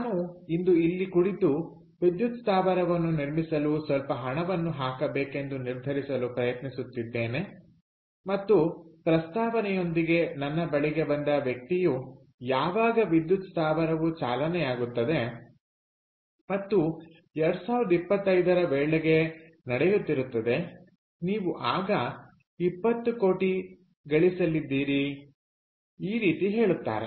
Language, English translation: Kannada, so i am sitting here today and trying to decide whether i want to put in some money to build a power plant, and the person who has come to me with the proposal is saying that you know, once this power plant is up power plant is up and running in the year twenty twenty five you are going to make twenty crores